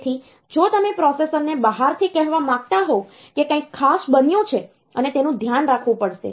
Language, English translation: Gujarati, So, if you want to tell the processor from the outside that something extra has happened something special has happened and that has to be taken care of